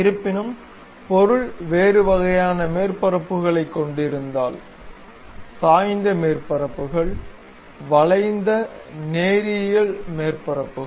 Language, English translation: Tamil, However, if object have different kind of surfaces; inclined surfaces, curvy linear surfaces which are bit offset